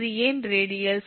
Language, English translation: Tamil, it is a radial network